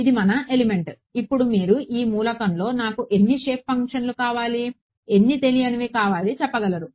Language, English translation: Telugu, The element is this, now you can say in this element I want how many shape functions, how many unknowns